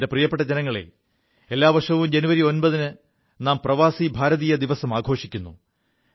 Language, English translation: Malayalam, My dear countrymen, we celebrate Pravasi Bharatiya Divas on January 9 th every year